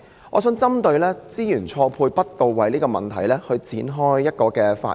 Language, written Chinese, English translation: Cantonese, 我的發言想以"資源錯配不到位"這問題作開始。, I wish to begin my speech with a discussion on resource mismatch and misallocation